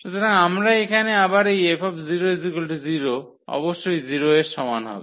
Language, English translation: Bengali, So, here we are getting again this 0 F 0 must be equal to 0